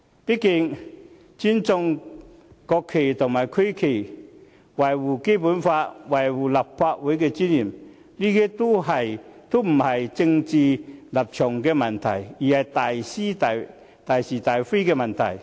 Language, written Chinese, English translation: Cantonese, 畢竟，尊重國旗和區旗、擁護《基本法》、維護立法會尊嚴，這些都不是政治立場的問題，而是大是大非的問題。, After all respecting the national flag and regional flag upholding the Basic Law safeguarding the dignity of the Legislative Council are not matters of political stance rather they are issues involving major principles